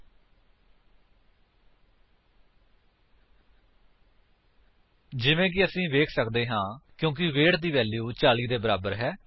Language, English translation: Punjabi, As we can see, the output is false because the value of weight is not equal to 40